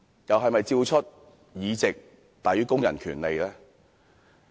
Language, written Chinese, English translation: Cantonese, 又是否照出"議席大於工人權利"呢？, Has it revealed that the Government puts seats in the Legislative Council before workers rights?